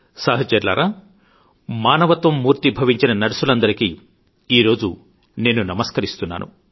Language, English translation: Telugu, Friends, today I salute the embodiment of humanity…the Nurse